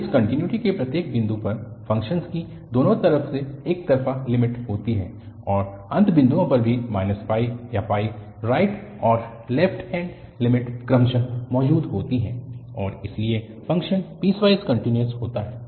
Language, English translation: Hindi, At each point of discontinuity the function has finite one sided limit from both sides and also at the end points, minus pi or pi, the right and the left handed limit exist respectively and therefore the function is piecewise continuous